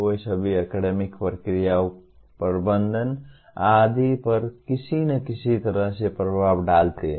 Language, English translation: Hindi, They all have influence somehow on the academic processes, management and so on